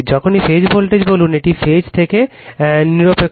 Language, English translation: Bengali, Whenever we say phase voltage, it is phase to neutral right